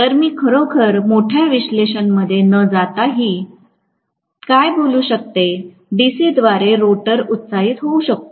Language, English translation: Marathi, So, what I can say even without really going into great analysis, the rotor can be excited by DC